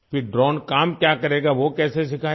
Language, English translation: Hindi, Then what work would the drone do, how was that taught